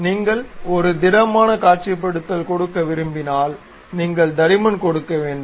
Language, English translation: Tamil, If you want to give a solid visualization and so on, you have to really give the thickness